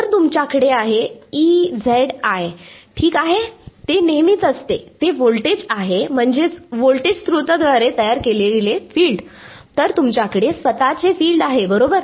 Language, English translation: Marathi, So, you will have E z i ok, that is always there, that is the voltage I mean the field produced by the voltage source, then you have the self field right